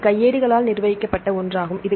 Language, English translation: Tamil, This is the manual curated one